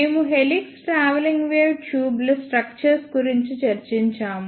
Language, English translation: Telugu, We have discussed the structure of helix travelling wave tubes